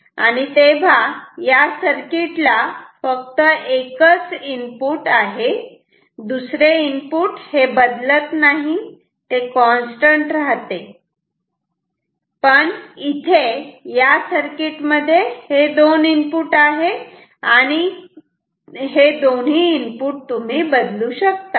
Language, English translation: Marathi, So, this has only one input ok, because the other one is constant it is not changing, but this circuit has 2 inputs you can change both of them ok